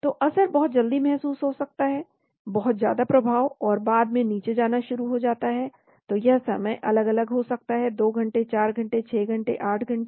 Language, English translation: Hindi, So the effects may be felt early very high effect, and then later on starts going down so this time could be different, 2 hours, 4 hours, 6 hours, 8 hours